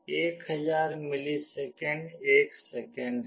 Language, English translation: Hindi, 1000 milliseconds is 1 second